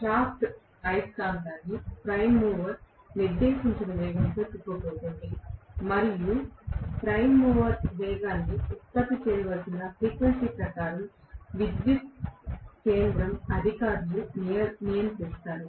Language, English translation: Telugu, The shaft is going to rotate the magnet in the speed whatever is dictated by the prime mover and the prime mover speed will be controlled by the power station authorities, according to the frequency that needs to be generated